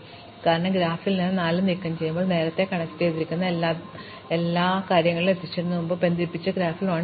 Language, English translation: Malayalam, So, this is the special vertex, because if I remove this 4 from the graph, in the graph which was earlier connected everything could reach everything is no longer connected